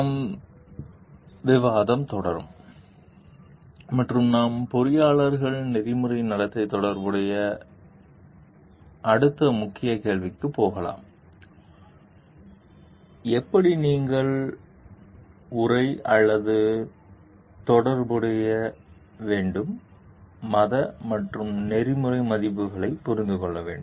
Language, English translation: Tamil, We will continue with the discussion and we will go to the next key question which are relevant for like ethical conducts for engineers is like, how at all do you feel like the or understand religious and ethical values to be related